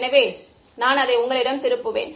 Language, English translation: Tamil, So, maybe I will turn it around to you